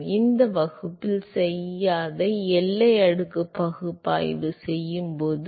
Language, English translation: Tamil, So, when we do the when the boundary layer analysis which will not do in this class